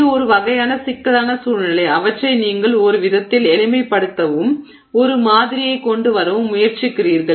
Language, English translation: Tamil, So, it's a kind of a complex situation that you have there which you are trying to simplify in some sense and come up with a model